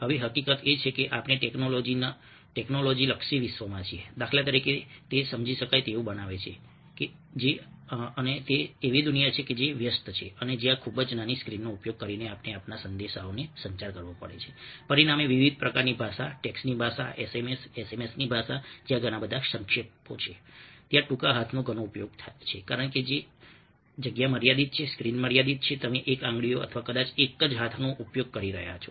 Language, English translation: Gujarati, now, the fact that ah we are in a technology oriented world, for instance ah makes it understandable that ah and in a world which is busy and where, using a very small screen, we have to communicate our messages, ah has resulted in different kind of a language: the language of texts, sms, the language of sms, where there are a lot of abbreviations, there are a lot of use of short hand because the space is limited, the screen is limited, you are using a single fingers, may be one single hand for writing or typing, whatever